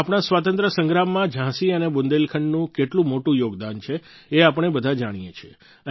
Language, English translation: Gujarati, All of us know of the huge contribution of Jhansi and Bundelkhand in our Fight for Freedom